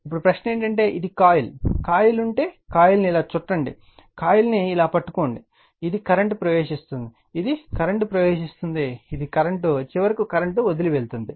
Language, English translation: Telugu, Now, question is that it is a coil, if you have a coil, you wrap the coil like this, you grabs the coil like this, and this is the current is entering right, this is the current entering, this is the curren, and finally the current is leaving